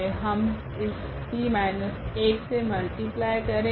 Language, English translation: Hindi, We multiply by this P inverse here